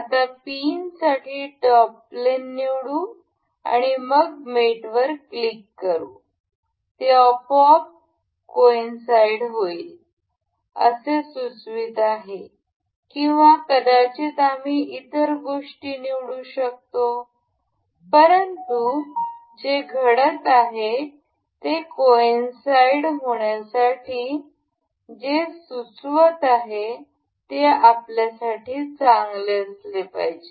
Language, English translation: Marathi, We will select the top plane for the pin, and then click on mate, it will it is automatically suggesting to coincide or or maybe we can select other things, but whatever it is suggesting to coincide it is going, it should be good for us